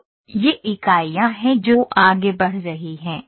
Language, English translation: Hindi, So, these are the units those are moving ok